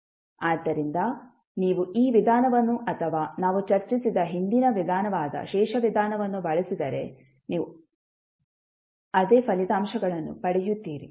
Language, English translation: Kannada, So, either you use this method or the previous method, which we discussed that is the residue method, you will get the same results